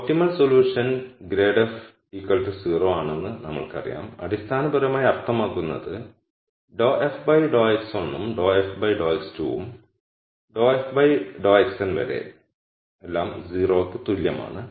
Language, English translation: Malayalam, We know that the optimum solution is grad f equals 0 which basically means that dou f dou x 1 dou f dou x 2 all the way up to dou f dou x n equal 0